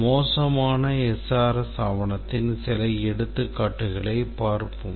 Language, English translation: Tamil, Let's look at some examples of bad SRS document